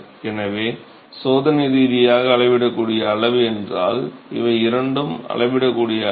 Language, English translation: Tamil, So, these two are measurable quantity if experimentally measurable quantity